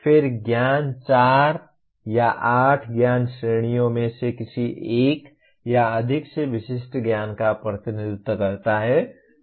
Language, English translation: Hindi, Then knowledge represents the specific knowledge from any one or more of the 4 or 8 knowledge categories